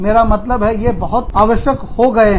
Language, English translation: Hindi, I have, i mean, they have become necessary